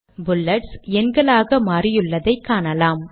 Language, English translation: Tamil, You can see that the bullets have become numbers now